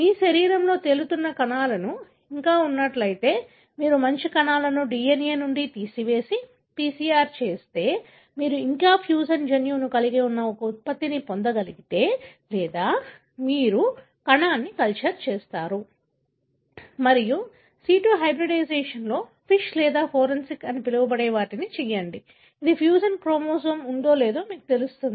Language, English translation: Telugu, If still there are cells that are, you know, floating in your body, then if you extract DNA from a good number of cells and do a PCR, if you can get a product that means still you have fusion gene or you culture the cell and do what is called as FISH or fluorescence in situ hybridization, which would tell you whether the fusion chromosome is there